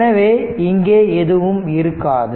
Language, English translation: Tamil, So, there will be nothing here